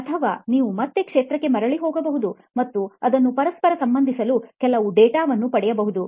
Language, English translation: Kannada, Or you can even go back to the field and get some data to correlate that